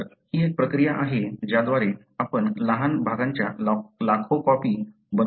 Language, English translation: Marathi, So, that’s one process by which you are able to make millions of copies of small segments